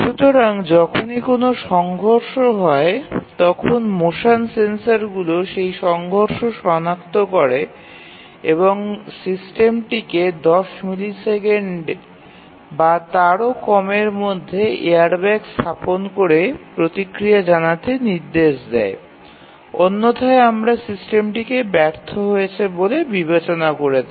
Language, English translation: Bengali, So, whenever there is a automobile crash the motion sensors detect a collision and the system needs to respond by deploying the airbag within ten millisecond or less otherwise we will consider the system to have been failed